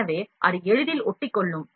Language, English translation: Tamil, So, that it can stick easily